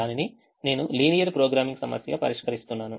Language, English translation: Telugu, i am solving it as a linear programming problem